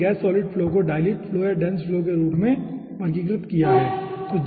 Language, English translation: Hindi, we have characterized the gas solid flow as a dilute flow and dense flow